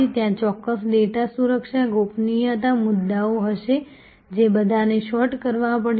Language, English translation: Gujarati, Of course, there will be certain data security privacy issues all those will have to be sorted